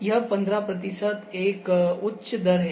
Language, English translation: Hindi, So, this is high rate 15 percent